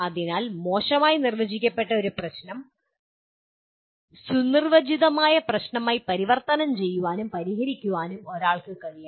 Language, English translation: Malayalam, So one should be able to tackle an ill defined problem and convert into a well defined problem